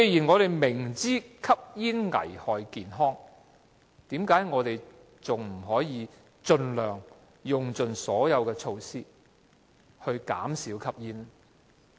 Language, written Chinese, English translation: Cantonese, 我們明知吸煙危害健康，為何不可以盡用所有措施減少市民吸煙呢？, We are well aware of the health hazards of smoking . Why is it impossible to take all possible steps to reduce smoking among people?